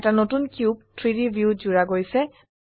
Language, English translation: Assamese, A new cube is added to the 3D view